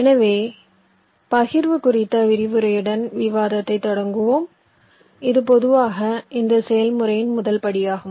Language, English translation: Tamil, so we start our discussion with a lecture on partitioning, which is usually the first step in this process